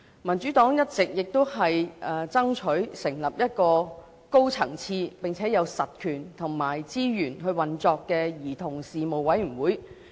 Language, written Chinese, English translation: Cantonese, 民主黨一直爭取成立一個高層次並有實權和資源運作的兒童事務委員會。, The Democratic Party has consistently striven for the establishment of a high - level Commission on Children with substantive powers and resources for operation